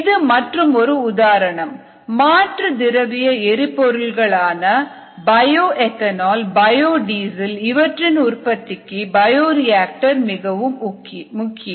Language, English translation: Tamil, similarly this is an other example alternative liquid fuels, such as bioethanol, biodiesel